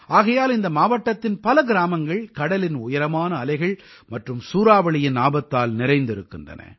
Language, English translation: Tamil, That's why there are many villages in this district, which are prone to the dangers of high tides and Cyclone